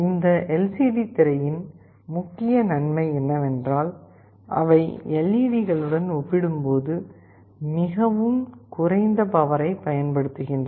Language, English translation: Tamil, The main advantage of this LCD screen is that they consume very low power as compared to LEDs